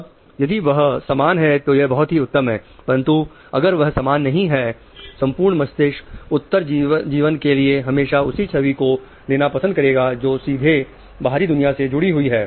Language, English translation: Hindi, Now, if they are same, wonderful but if they are not then the brain will always prefer the image which is relating directly to the external world for survival